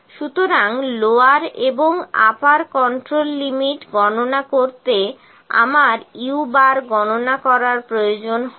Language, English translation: Bengali, So, to calculate the lower and the upper control limits I need to calculate the u bar